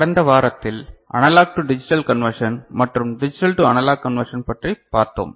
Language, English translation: Tamil, So, in the last week we discussed analog to digital conversion and digital to analog conversion